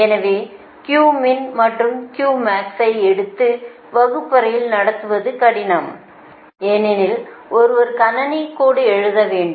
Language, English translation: Tamil, so taking q min, q max, all sort of things, it is difficult to put in the classroom